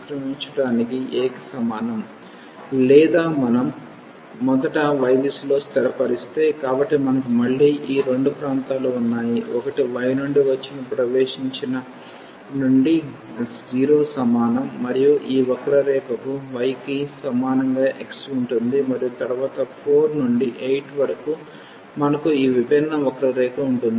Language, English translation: Telugu, Or, if we set in the direction of a y first; so, we have again these two regions one is this one which is from the entries from y is equal to 0 to this curve which is given by y is equal to x and then from 4 to 8 we have this different curve